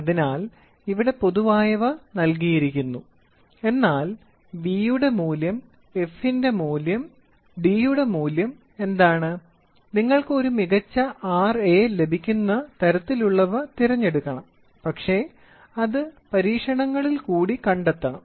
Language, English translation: Malayalam, So, this general is given, but what value of v, what value of f and what value of d you have to choose such that you get a better R a, but should come for the experiments